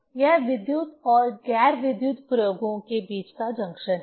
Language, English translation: Hindi, This is the junction between the electrical and non electrical experiments